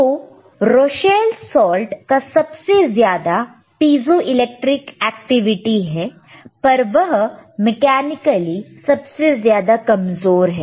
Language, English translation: Hindi, So, Rochelle salt has the greatest piezoelectric activity, but is mechanically weakest